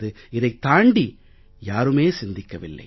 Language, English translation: Tamil, No one ever thought beyond this